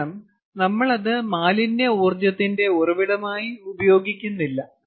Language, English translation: Malayalam, because this we are not radially using a source of waste energy